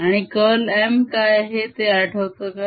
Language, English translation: Marathi, remember what is curl of m we just discuss